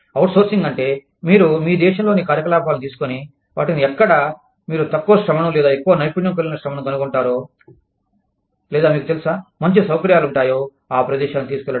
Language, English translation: Telugu, Outsourcing means, you take the operations, from within your country, and take them to a location, where you can either find cheap labor, or more skilled labor, or you know, better facilities